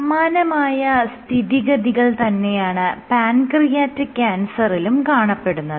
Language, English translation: Malayalam, Similarly, was the case of pancreatic cancer